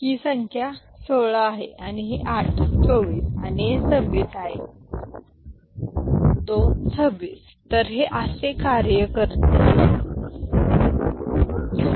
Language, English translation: Marathi, And we can see this number to be what this is 16, this is 8, 24, and this is 26 it works